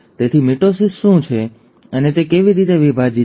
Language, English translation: Gujarati, So, what is mitosis and how is it divided